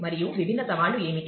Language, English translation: Telugu, And what are the different challenges